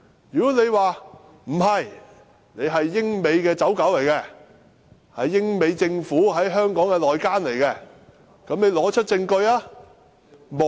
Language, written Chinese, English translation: Cantonese, 如果他們認為我們是英美的"走狗"、英美政府在香港的內奸，便請他們提出證據。, If they think that we are the lackeys of the United Kingdom and the United States or their covert spies in Hong Kong would they please provide evidence